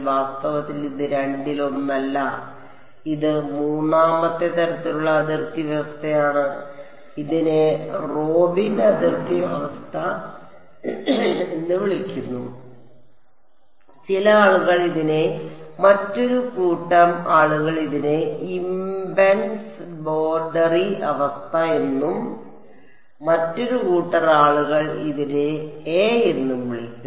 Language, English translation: Malayalam, So in fact, this is neither of the two this is a third kind of boundary condition its called a Robin boundary condition some people call it a another set of people call it a impedance boundary condition and another set of people will call it a